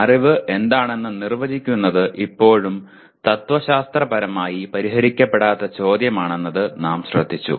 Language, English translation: Malayalam, We noted that defining what constitutes knowledge is still a unsettled question philosophically